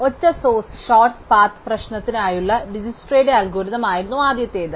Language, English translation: Malayalam, The first was DijkstraÕs algorithm for the single source shortest path problem